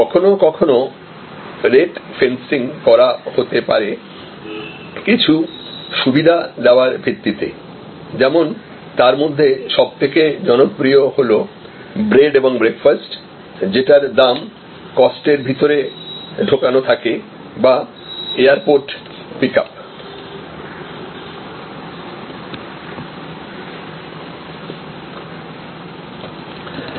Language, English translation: Bengali, Sometimes it can be, the rate fencing can be done on the basis of some amenities like very popular is bread and breakfast, the breakfast cost is included or the airport pickup